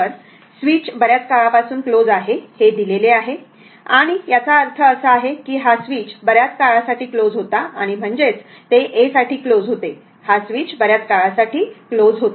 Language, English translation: Marathi, So, it is given that switch has been closed for a long time and that means, this switch was closed for a long time and your I mean it was closed for a; this switch was closed for a long time